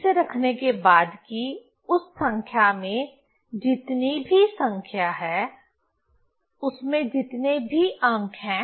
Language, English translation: Hindi, So, after keeping that whatever the number in that number, how many digits are there